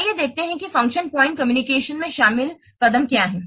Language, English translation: Hindi, Let's see what are the key components of function point analysis